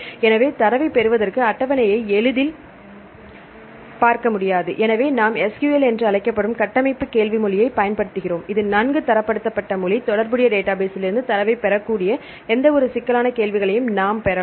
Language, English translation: Tamil, So, here we use the structure query language that is called SQL, it is well standardized language, we can get the any complex queries we can get the data from the relational database right